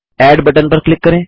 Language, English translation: Hindi, Click on the Add button